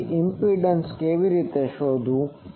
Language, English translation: Gujarati, So, how to find impedance